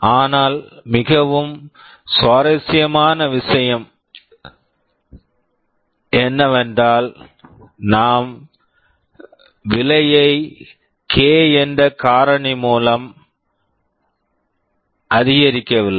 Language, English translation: Tamil, But the very interesting thing is that we are not increasing the cost by a factor of k